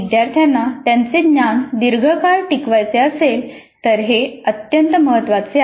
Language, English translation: Marathi, Now this is very important if the learners have to retain their knowledge acquired for longer periods of time